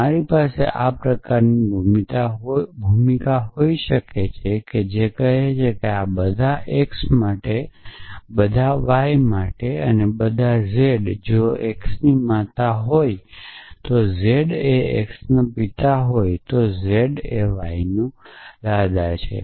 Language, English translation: Gujarati, I could have a role of this kind which says that for all x for all y for all z if x is the mother of y and z is the father of x then z is the grandfather of y